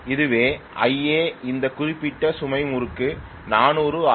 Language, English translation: Tamil, So this is IA at 400RPM for this particular load torque